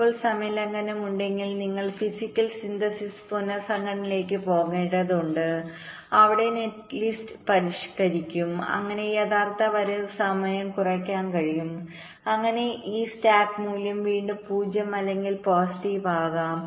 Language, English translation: Malayalam, now, if there is a timing violation, then we have to go for physical synthesis, restructuring, where we modify the netlist so that the actual arrival time can be reduced, so that this slack value can be again made zero or positive